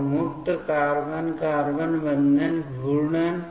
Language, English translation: Hindi, So, free carbon carbon bond rotations